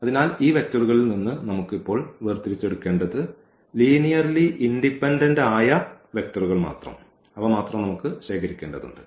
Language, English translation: Malayalam, So, what we have to now extract out of these vectors what we have to collect only the linearly independent vectors